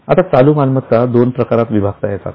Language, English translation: Marathi, Now current assets can be classified into two types